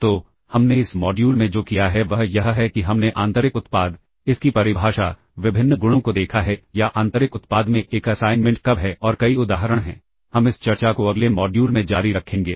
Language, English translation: Hindi, So, what we have done in this module is we have looked at the inner product, it is definition, the various properties or when, is an assignment and inner product and several examples